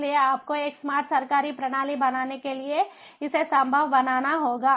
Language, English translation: Hindi, so you have to make it possible in order to build a smart government system